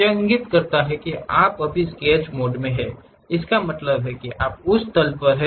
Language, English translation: Hindi, That indicates that you are in Sketch mode; that means, you are on that plane